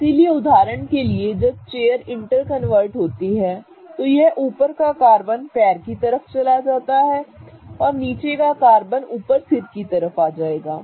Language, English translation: Hindi, So, for example when the chair interconverts, this particular head carbon will become the leg carbon and this particular leg carbon will become the head carbon